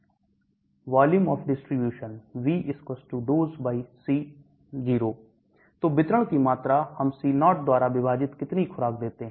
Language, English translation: Hindi, Volume of distribution, V= Dose/C0 So volume of distribution, how much dose we give divided by C0